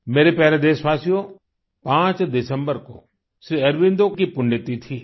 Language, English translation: Hindi, the 5thDecember is the death anniversary of Sri Aurobindo